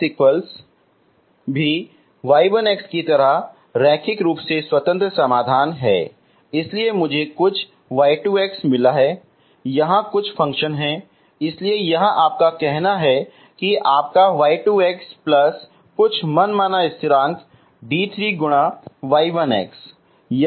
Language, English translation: Hindi, This is also linearly independent solutions like y 1 x, so I got some y 2 of x, some function here so this is your say your y 2 x plus some arbitrary constant d 3 times y 1 of x